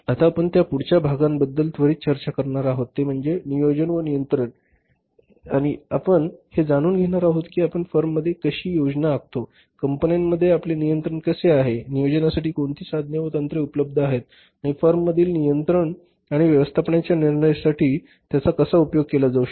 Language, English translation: Marathi, Now we will be further talking about the next part quickly that is the planning and controlling and we will be learning about that how we plan in the firms, how we control in the firms, what are the different tools and techniques are available for planning and controlling in the firms and how they can be made use of for the management decision making